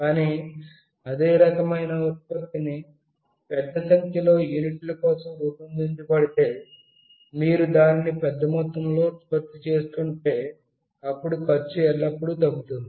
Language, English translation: Telugu, But, if the same kind of product is designed for a large number of units, you are producing it in a bulk, then the cost always reduces